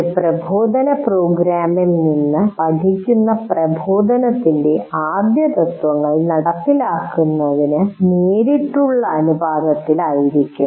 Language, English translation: Malayalam, So, learning from a given instructional program will be facilitated in direct proportion to the implementation of the first principles of instruction